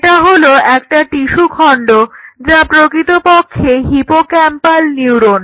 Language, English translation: Bengali, So, this is what you are going to get, piece of tissue which is the hippocampal neuron